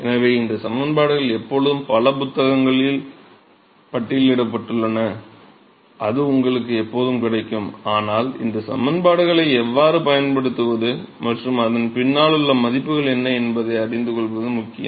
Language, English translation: Tamil, So, these expression are always cataloged in several books and its always available to you buts it is important to know and realize how to use these expression and what the values behind it